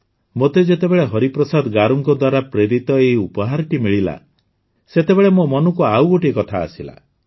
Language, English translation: Odia, When I received this gift sent by Hariprasad Garu, another thought came to my mind